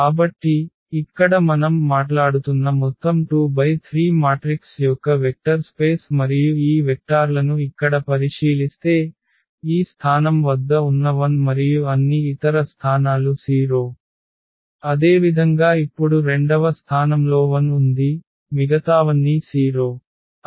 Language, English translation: Telugu, So, here the vector space of all 2 by 3 matrices we are talking about and if we consider these vectors here, the 1 at this position and all other positions are 0; similarly now at the second position is 1 all others are 0